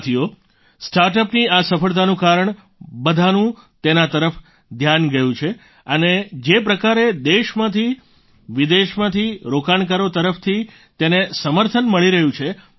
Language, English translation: Gujarati, Friends, due to the success of StartUps, everyone has noticed them and the way they are getting support from investors from all over the country and abroad